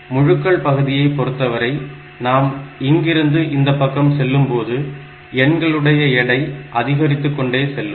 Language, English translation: Tamil, Now, in this case in the integer part as you are going from this side to this side the weight of the numbers are in weight of the digits are increasing